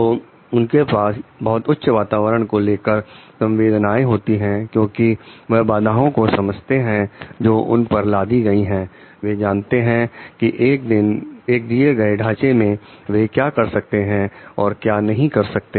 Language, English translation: Hindi, So, they have a very high environmental sensitivity because they understand the constraints that are imposed on them they know what they can do and they cannot do all so within a given framework